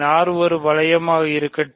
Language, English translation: Tamil, So, let R be a ring